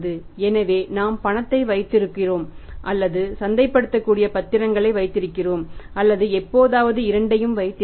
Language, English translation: Tamil, So we keep either cash or we keep marketable securities or sometime we keep both